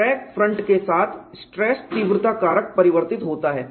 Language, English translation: Hindi, Along the crack front, the stress intensity factor varies